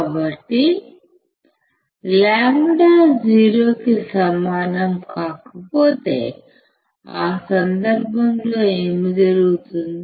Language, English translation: Telugu, So, if lambda is not equal to 0, in that case, what will happen